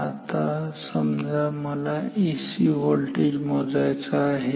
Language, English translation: Marathi, Now, say I want to measure a AC voltage